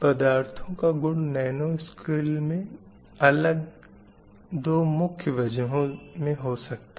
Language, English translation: Hindi, The properties of materials can be different at the nanoscale because of two main reasons